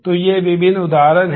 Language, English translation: Hindi, So, these are different examples